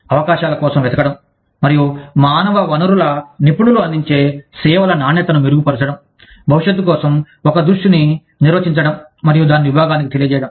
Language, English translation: Telugu, Just looking for opportunities, and improving the quality of services, offered by the human resources professionals, that defining a vision for the future, and communicating it to the department